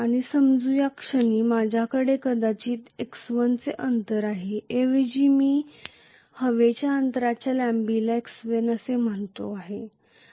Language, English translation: Marathi, And let us say I have a distance of maybe x1 at this point in time, rather I am calling the air gap length to be x1